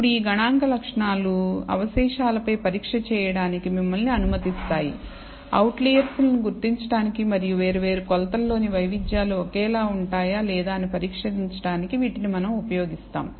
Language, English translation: Telugu, Now the these statistical properties allow you to now perform test on the residuals, which will what we will use, to identify outliers and also test whether there is set the variances in the different measurements are identical or not